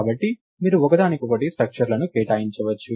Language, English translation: Telugu, So, you can assign structures to each other